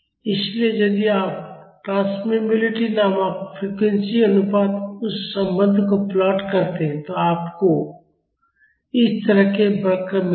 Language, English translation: Hindi, So, if you plot that relation the transmissibility versus frequency ratio, you will get curves like this